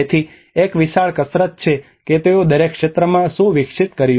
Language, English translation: Gujarati, So there is a huge exercise what they did developed in each sector